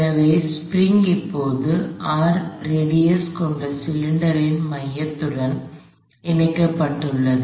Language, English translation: Tamil, So, the spring is now connected to the center of a cylinder of some radius R